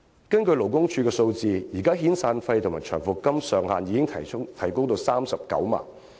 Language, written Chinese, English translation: Cantonese, 根據勞工處的數據，現時遣散費及長期服務金的上限已提高至39萬元。, According to the statistics provided by the Labour Department the upper limits of severance and long service payments have been raised to 390,000